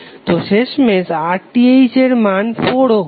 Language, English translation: Bengali, So finally the RTh value is 4 ohm